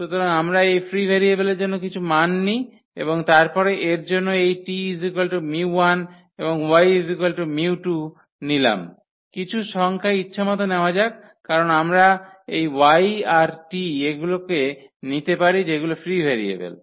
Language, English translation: Bengali, So, we will take some values for this free variables and then, so let us take for this t is equal to mu 1 and for y we take mu 2 some number arbitrary number because we can choose these y and t whatever we like these are the free variables